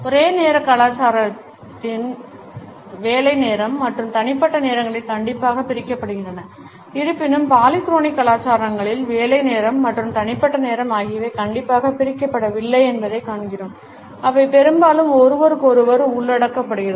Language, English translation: Tamil, Work time and personal times are strictly separated in monochronic cultures; however, in polychronic cultures we find that the work time and personal time are not strictly separated they often include in to each other